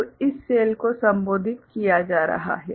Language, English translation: Hindi, So, this is the cell being addressed